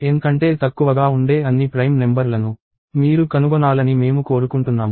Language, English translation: Telugu, And I want you to find out all the prime numbers that are less than N